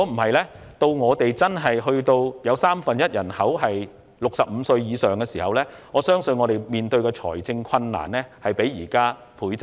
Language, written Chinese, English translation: Cantonese, 否則，當香港真的有三分一人口在65歲以上時，我相信政府屆時所要面對的財政困難，將會倍增。, Otherwise I believe the financial difficulties faced by the Government will double when it is really the case that one third of Hong Kongs population is over 65